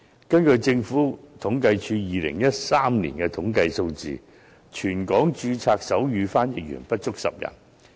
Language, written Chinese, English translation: Cantonese, 根據政府統計處2013年的統計數字，全港註冊的手語傳譯員不足10人。, According to the data from the Census and Statistics Department in 2013 there were only less than 10 registered sign language interpreters in Hong Kong